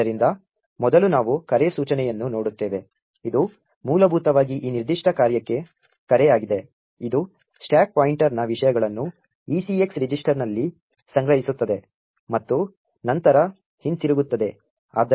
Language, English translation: Kannada, So, first we see the call instruction which are essentially is a call to this particular function over here which stores the contents of the stack pointer into the ECX register and then returns